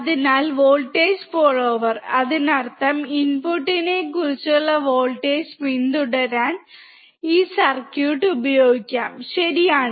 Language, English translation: Malayalam, So, voltage follower; that means, this circuit can be used to follow the voltage which is about the input, right